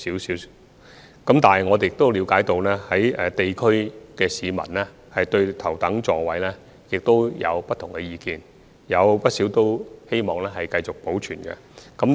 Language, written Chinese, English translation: Cantonese, 不過，我們也了解到，市民對頭等座位有不同的意見，有不少市民希望能夠繼續保留。, However we also understand that the pubic have different views towards the First Class compartment and not a few among them want it to be retained